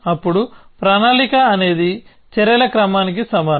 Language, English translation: Telugu, Then a plan is equal to sequence of actions